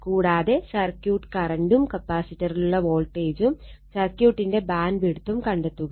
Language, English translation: Malayalam, Also find the circuit current, the voltage across the capacitor and the bandwidth of the circuit right